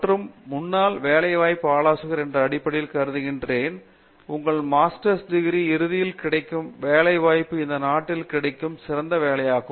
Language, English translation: Tamil, And, as the you know as the former placement adviser, I can also say that the employment opportunities that you would get at the end of your masters, probably of the best that you get in this country